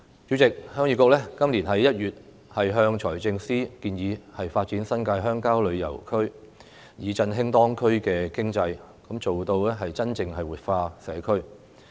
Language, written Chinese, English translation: Cantonese, 主席，鄉議局在今年1月向財政司司長建議，發展新界鄉郊旅遊區，以振興當區的經濟，做到真正活化社區。, President in January this year the Heung Yee Kuk proposed to the Financial Secretary to develop the rural New Territories into tourist areas to boost the local economy and genuinely activate the community